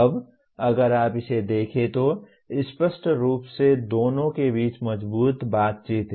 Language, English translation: Hindi, Now if you look at this there is obviously strong interaction between the two